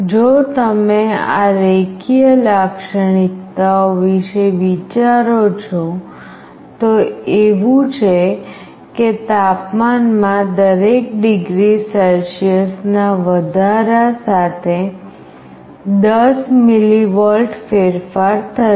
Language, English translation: Gujarati, If you think of these linear characteristics, it is like there will be with 10 millivolt change for every degree Celsius increase in temperature